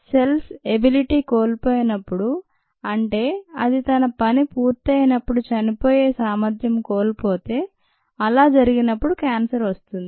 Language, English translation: Telugu, the cell has lost its ability to die when its job is done and when that happens, cancer happens